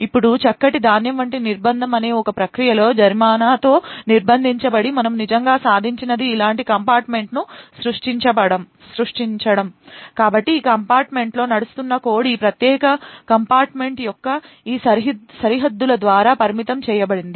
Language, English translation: Telugu, Now with a Fine Grained confinement to within a process what we actually achieved is creating one compartment like this, so code that runs within this compartment is restricted by these boundaries of this particular compartment